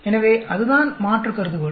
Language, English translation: Tamil, So, that is the alternate hypothesis